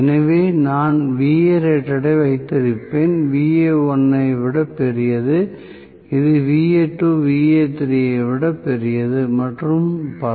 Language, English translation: Tamil, So, I will have Va rated, greater than Va1, greater then Va2, greater than Va3 and so on